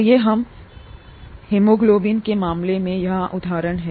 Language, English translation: Hindi, Let us take an example here in the case of haemoglobin